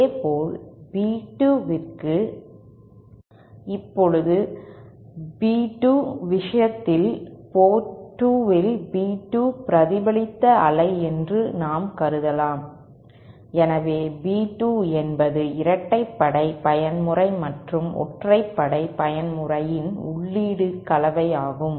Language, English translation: Tamil, Similarly for B2, now in the case of B2, we can assume that B2 is the reflected wave at port 2, so B2 is the combination of the input of the even mode and the odd mode